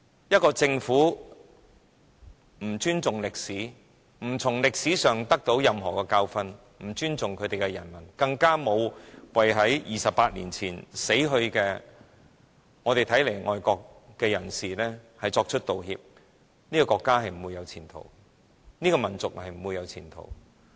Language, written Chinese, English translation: Cantonese, 一個政府若不尊重歷史，不從歷史汲取任何教訓，不尊重其人民，不為在28年前死去、我們視為愛國的人士作出道歉，其國家或民族是不會有前途的。, If a government does not respect history does not learn any lesson from history does not respect its people and does not apologize to those we regard as patriots who lost their lives 28 years ago then there is no future for its country or nation